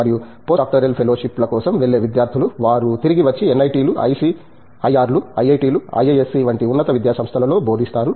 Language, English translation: Telugu, And, the students who go for postdoctoral fellowships they come back and teach at institutes of higher learning like NITs, ICERS, IITs and IISC and so on